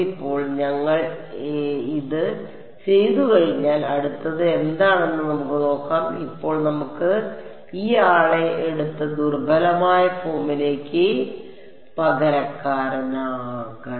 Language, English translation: Malayalam, So now, that we have done this let us see what should what is next is now we have to take this guy and substitute into the weak form right